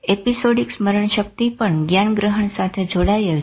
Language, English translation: Gujarati, Episodic memory is again connected to cognition